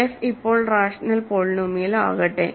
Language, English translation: Malayalam, So, let f be rational polynomial now, ok